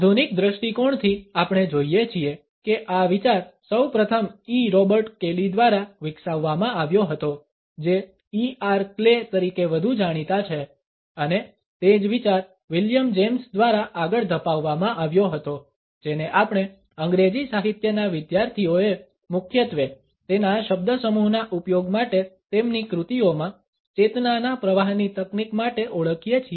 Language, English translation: Gujarati, From the modern perspectives, we find that the idea was first of all developed by E Robert Kely who is better known as E R Clay and the same idea was carried forward by William James whom we students of English literature recognized primarily for his use of the phrase is ‘stream of consciousness technique’ in his works